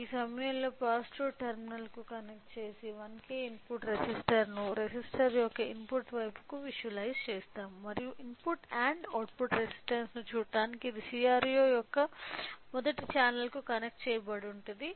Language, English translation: Telugu, So, the positive terminal at this point is connected to this you know 1K input 1K resistor to the input side of 1K resistor along with this in order to visualise and in order to see the input and output responses it is connected to the first channel of CRO